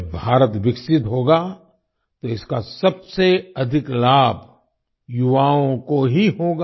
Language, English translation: Hindi, When India turns developed, the youth will benefit the most